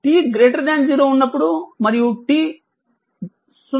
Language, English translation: Telugu, Now, at t is equal to 0